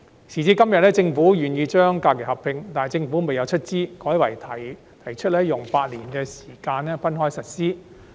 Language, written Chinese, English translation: Cantonese, 時至今天，雖然政府願意劃一假期日數，但卻不會出資，改為用8年逐步實施。, Today the Government is willing to align the number of SHs with GHs but it offers no funding and intends to spend eight years time to achieve the alignment progressively instead